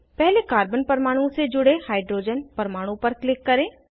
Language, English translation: Hindi, Click on the hydrogen atom attached to the first carbon atom